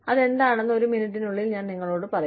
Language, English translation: Malayalam, I will tell you, what that is, in a minute